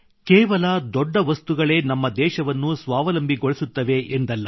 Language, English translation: Kannada, And it is not that only bigger things will make India selfreliant